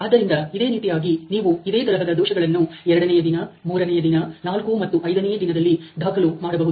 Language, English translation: Kannada, So, similarly you have similar kind of defects recorded in day 2, day 3, 4, and 5